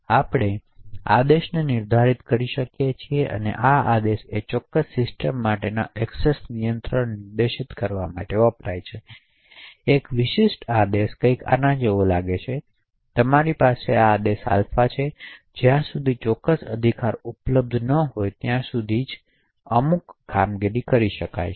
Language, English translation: Gujarati, We can define commands, so this command is what is used to specify the access control for that particular system, a typical command would look something like this, so you have a command alpha and unless certain rights are available only then can certain operations be performed